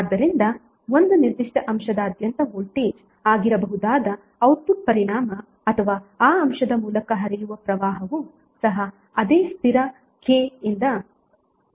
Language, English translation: Kannada, So output effect that may be the voltage across a particular element or current flowing through that element will also be multiplied by the same constant K